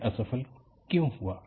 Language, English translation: Hindi, Why it failed